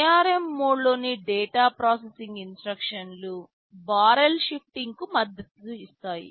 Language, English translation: Telugu, Data processing instructions in ARM mode supports barrel shifting